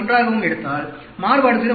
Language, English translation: Tamil, 1, the variation could be 0